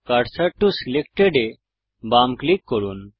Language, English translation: Bengali, Left click Selection to cursor